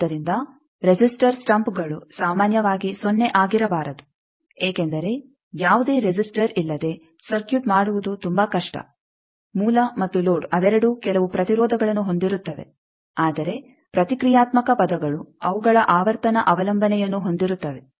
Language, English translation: Kannada, So, resistors stumps cannot be 0 generally, because it is very difficult to make a circuit without any resistor both the source and load they will have some resistances, but reactive terms their frequency dependence